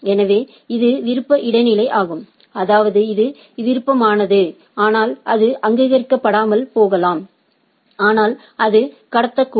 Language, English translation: Tamil, So, it is one is optional transitive, that means, it is optional, but it may not recognize, but it can transmit